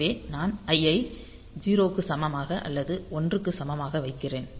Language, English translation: Tamil, So, we can have i equal to 0 or i equal to 1